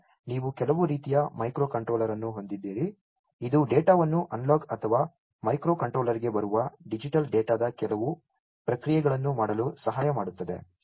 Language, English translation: Kannada, Then you have some kind of a micro controller, which will help in doing some processing of the data the analog or the digital data that comes in to the micro controller